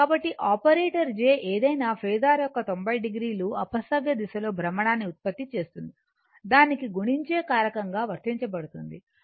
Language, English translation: Telugu, So, operator j produces 90 degree counter clockwise rotation of any phasor to which it is applied as a multiplying factor that is; that means, j square is equal to minus 1